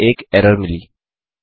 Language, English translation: Hindi, Now we got an error